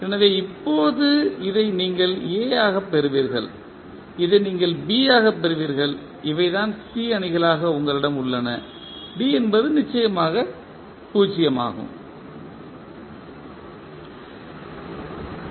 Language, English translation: Tamil, So, now this you will get as A, this you will get as B and this is what you have as C matrices, D is of course 0